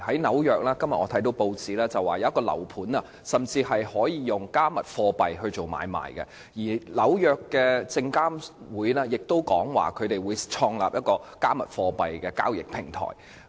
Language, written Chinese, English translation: Cantonese, 今天我看到報章報道紐約一個樓盤，甚至可以用"加密貨幣"進行買賣，而美國證券交易委員會亦表示會創立一個"加密貨幣"的交易平台。, According to a press report today cryptocurrencies can even be used in the transactions of a property development project in New York and the United States Securities and Exchange Commission has also indicated that it will create a cryptocurrency trading platform